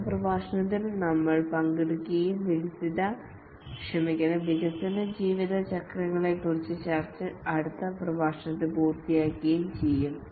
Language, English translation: Malayalam, We will take up in the next lecture and we will complete our discussion on the development life cycles in the next lecture